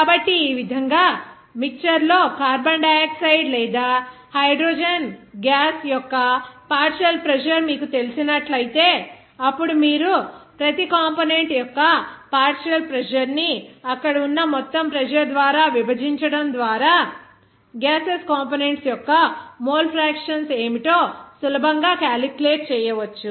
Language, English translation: Telugu, So, in this way even if you know the partial pressure of carbon dioxide or hydrogen gas in the mixture, then you can easily calculate what should be the mole fraction of gaseous components just by dividing that partial pressure of each component by the total pressure there